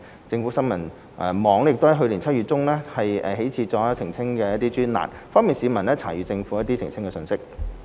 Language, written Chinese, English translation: Cantonese, 政府新聞網亦自去年7月中起開設了澄清專欄，方便市民查閱政府的澄清信息。, A clarifications column was also set up on the website of newsgovhk in mid - July last year to give the public better access to the Governments clarifications